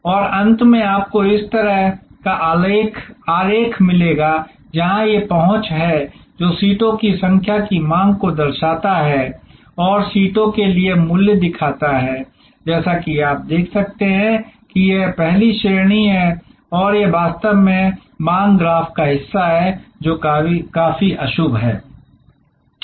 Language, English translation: Hindi, And ultimately you will get a diagram of like this, where this is the access, which shows number of seats demanded and this shows price for seats as you can see here is the first class and this is actually the part of the demand graph, which is quite inelastic